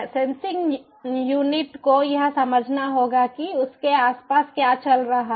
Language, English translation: Hindi, sensing unit will have to sense what is going on around it